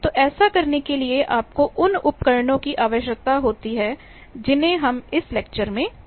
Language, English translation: Hindi, So, to do this you require those tools of microwaves which we will discuss in this lecture